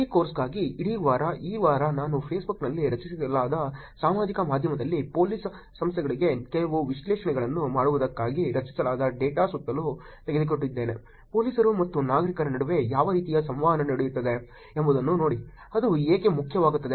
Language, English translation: Kannada, For the entire week for this course, this week I kind of took you around the data that are created on Facebook, that are created on social media for Police Organizations doing some analysis, seeing what kind of interactions that are going on between police and citizens, why does it all matter